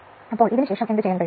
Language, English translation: Malayalam, So, after this, what you will do